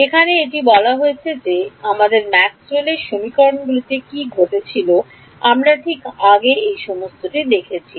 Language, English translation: Bengali, Now with this having been said what happens to our Maxwell’s equations in we have seen all of this before right